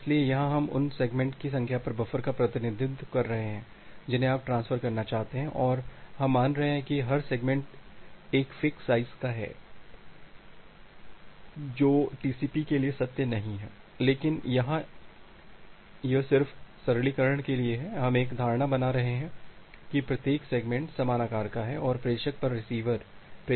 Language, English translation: Hindi, So, here we are representing buffer at the number of segments that you want to transfer and we are assuming that every segment is a fix size although that does not hold true for TCP, but here this is just for simplification, we are making an assumption that every segment has of same size and the receiver at the sender, sender A